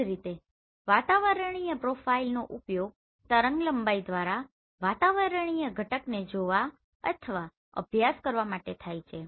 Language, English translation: Gujarati, Similarly, atmospheric profiler this is used to see or study the atmospheric constituent using this wavelength